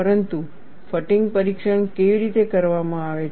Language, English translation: Gujarati, But how the fatigue test is done